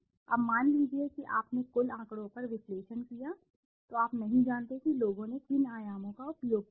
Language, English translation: Hindi, Now suppose you have done the analysis on the aggregate data you don t know what dimensions people have used